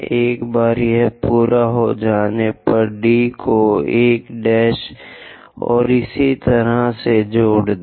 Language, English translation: Hindi, Once it is done, join D with 1 prime and so on